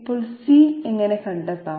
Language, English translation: Malayalam, Now, how to find out C